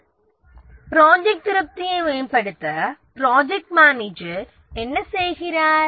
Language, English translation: Tamil, What does the project manager do to improve job satisfaction